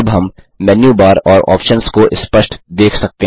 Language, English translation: Hindi, * Now, we can view the Menu bar and the options clearly